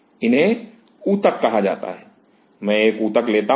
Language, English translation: Hindi, It is called a tissue; I take a tissue